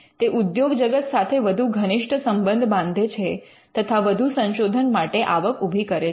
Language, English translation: Gujarati, It builds closer ties with the industry and it generates income for further research